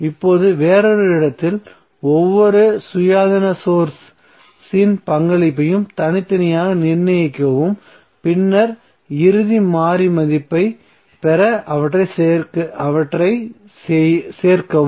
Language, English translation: Tamil, Now in another to determine the contribution of each independent source to the variable separately and then you add them up to get the final variable value